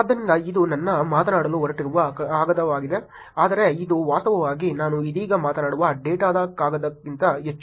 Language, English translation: Kannada, So, this is the paper that with I am going to be talking about, but this actually more than a paper that the data that I will be talking about right now